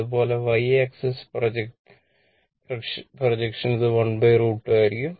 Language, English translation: Malayalam, Similarly, for y axis projection it will be 1 by root 2